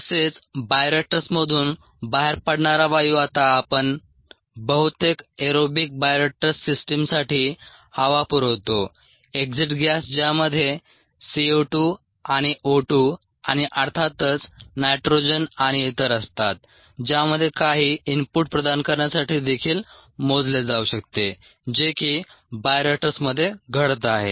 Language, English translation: Marathi, the gas that comes out of the bioreactor now we provide air for most aerobic ah bioreactor systems the exit gas, which consists of c, o two and o two and of course nitrogen and so on, that can also be measured to provide some input into what is happening in the bio reactor